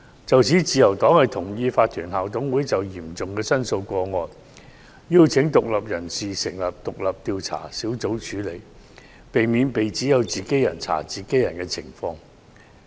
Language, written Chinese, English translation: Cantonese, 就此，自由黨同意，法團校董會應就嚴重申訴個案，邀請獨立人士成立獨立調查小組處理，避免被指為"自己人查自己人"。, In this connection the Liberal Party agrees that the Incorporated Management Committees IMCs should invite independent persons to set up independent investigation teams to deal with serious complaint cases to avoid being seen as conducting investigations on their own peers